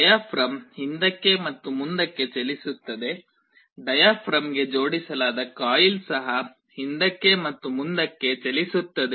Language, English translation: Kannada, The diaphragm moves back and forth, the coil that is attached to a diaphragm will also move back and forth